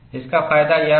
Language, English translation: Hindi, So, what is the result